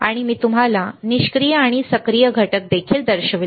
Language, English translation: Marathi, And I also shown you the passive and active components